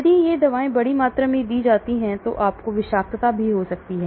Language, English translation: Hindi, If these drugs are given in large doses, you can have toxicities also